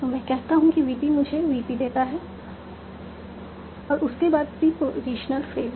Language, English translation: Hindi, So I say VP gives me a VP followed by a proportional phase